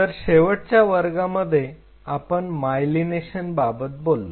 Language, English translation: Marathi, So, in the last class where we just ended was about myelination